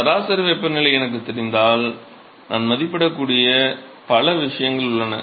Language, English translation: Tamil, So, if I know the mean temperature, there are lots of thing that I can estimate